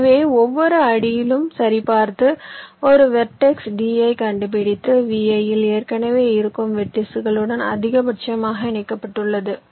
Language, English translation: Tamil, so what i do at every step, i check and find out a vertex, t, which is maximally connected to the vertices which are already there in v i